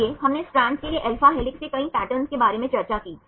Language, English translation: Hindi, So, we discussed about several patterns right for alpha helix for the strand, for the transmembrane regions